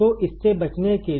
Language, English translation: Hindi, So, to avoid this